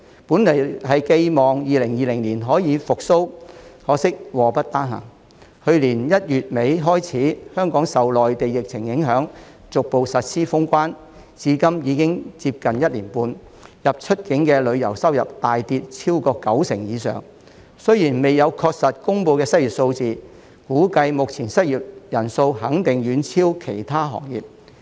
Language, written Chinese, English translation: Cantonese, 本來寄望2020年可以復蘇，可惜禍不單行，去年1月底開始香港受內地疫情影響，逐步實施封關，至今已經接近1年半，入、出境旅遊收入大跌超過九成以上，雖然未有確實公布的失業數字，估計目前的失業率肯定遠超其他行業。, It was hoped that the industry would recover in 2020 but unfortunately starting from the end of January last year Hong Kong has been affected by the epidemic on the Mainland and the closure of border checkpoints being implemented gradually . Almost one and a half years have passed since then and our inbound and outbound tourism revenues have plummeted by more than 90 % . Although no exact unemployment figures are available it is estimated that the current unemployment rate concerned is definitely much higher than that of other industries